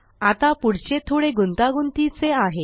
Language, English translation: Marathi, Now the next ones a bit more tricky